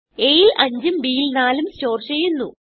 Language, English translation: Malayalam, 5 will be stored in a and 4 will be stored in b